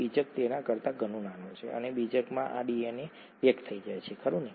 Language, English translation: Gujarati, The nucleus is much smaller than that and in the nucleus this DNA gets packaged, right